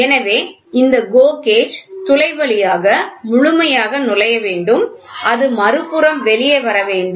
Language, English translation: Tamil, So, this GO gauge should enter fully through the hole and it should come out through the other side